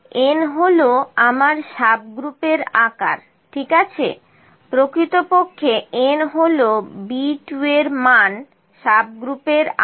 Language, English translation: Bengali, N is my subgroup size, ok, n is actually this value B 2 subgroup size